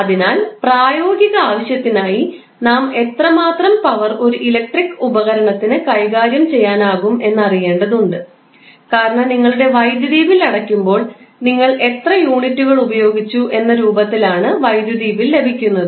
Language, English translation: Malayalam, So, what we have to do for practical purpose we need to know how much power an electric device can handle, because when you pay your electricity bill you pay electricity bill in the form of how many units you have consumed